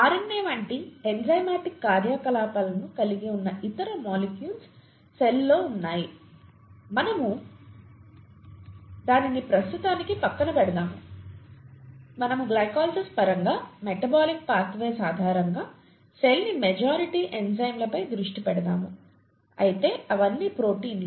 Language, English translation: Telugu, There are other molecules in the cell that have enzymatic activities such as RNA, we will keep that aside for the time being, we’ll just focus on the majority of enzymes in the cell in terms of glycolysis, in terms of metabolic pathways and they are all proteins